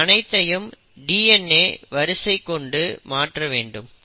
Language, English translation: Tamil, Now let us come back to this DNA strand